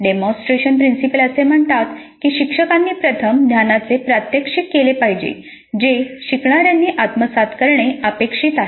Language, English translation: Marathi, Demonstration principle says that instructor must first demonstrate the knowledge that the learners are supposed to acquire